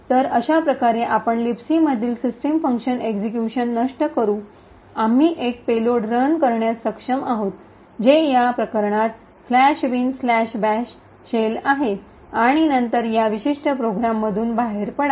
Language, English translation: Marathi, So, in this way we are able to subvert execution to the system function present in LibC we are able to run a payload which in this case is the slash bin slash bash shell and then also exit from this particular program